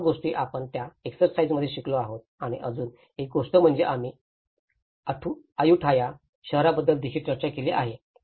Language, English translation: Marathi, So all these things, we are learnt in that exercise and there is one more we have also discussed about the city of Ayutthaya